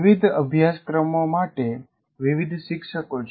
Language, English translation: Gujarati, And then you have different teachers for different courses